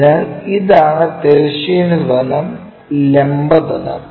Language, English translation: Malayalam, So, so, this is the horizontal plane what we have, this is the vertical plane, horizontal plane, and that is the vertical plane